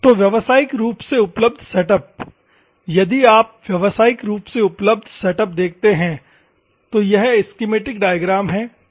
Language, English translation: Hindi, So, commercially available setups; if you see the commercially available setups, this is the schematic diagram ok